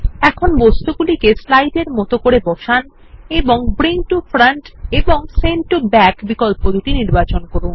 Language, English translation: Bengali, Now place the object as shown on this slides and check bring to front and sent to back option